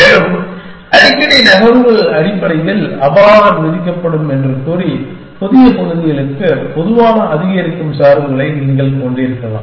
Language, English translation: Tamil, And then you can have general increasing bios towards newer areas by saying that more frequent moves will be penalized essentially